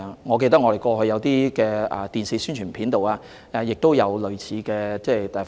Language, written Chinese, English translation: Cantonese, 我記得我們過去在電視宣傳片也有使用類似的例子。, I remember we have used a similar example in an Announcement of Public Interest on TV